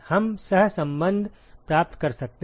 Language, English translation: Hindi, We can get the correlations